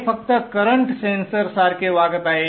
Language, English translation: Marathi, So these are just now behaving like current sensors